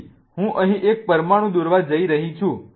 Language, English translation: Gujarati, So, I'm going to draw this one here